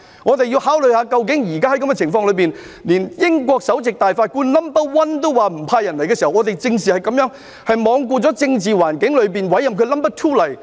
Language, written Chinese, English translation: Cantonese, 我們要考慮現時的情況，就是連英國首席大法官也表示不派人來港，我們正是這樣，是罔顧政治環境中委任了 NO. 2來港。, We must consider the fact that even the highest judge of the United Kingdom had said that they would not send judges to Hong Kong . This is exactly what we have done and we have appointed its second - highest judge to Hong Kong in spite of the political climate